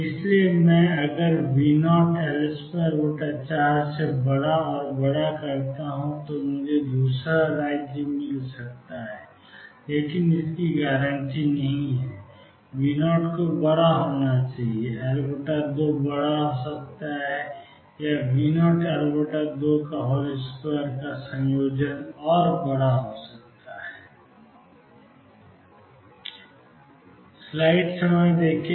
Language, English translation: Hindi, So, that if I make V naught times L square by 4 bigger and bigger I may get the second state, but that is not guaranteed for that the V naught has to be larger, L naught by 2 can be larger or a combination V naught L by 2 square has to be larger and larger